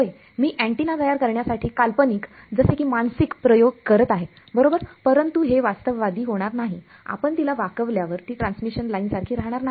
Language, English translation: Marathi, Yeah, I am hypothetical like doing a mental experiment to construct an antenna right, but this is not going to be realistically once you bend it is no longer exactly a transmission lines